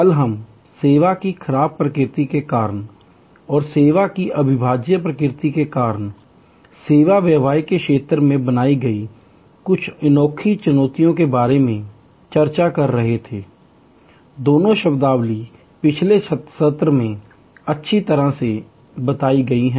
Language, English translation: Hindi, Yesterday, we were discussing about some unique challenges created in the service business domain due to the perishable nature of service and due to inseparable nature of service, both terminologies have been well explained in the previous sessions